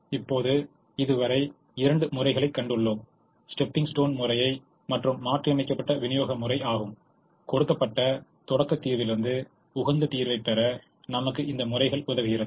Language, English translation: Tamil, now, so far we have seen two methods, the stepping stone method and the modified distribution method, that help us get the optimum solution from a given starting solution